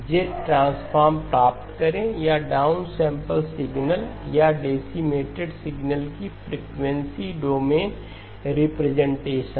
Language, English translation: Hindi, Obtain the Z transform or the frequency domain representation of the down sampled signal or the decimated signal